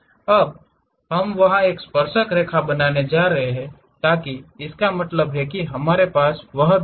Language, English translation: Hindi, Now, we are going to draw a tangent there so that means, we have that point